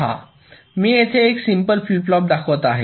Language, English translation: Marathi, see, i am just showing a side by side a normal flip flop